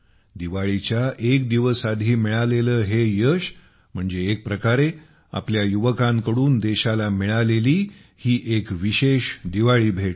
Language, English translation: Marathi, This success achieved just a day before Diwali, in a way, it is a special Diwali gift from our youth to the country